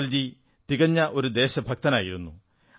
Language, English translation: Malayalam, Atalji was a true patriot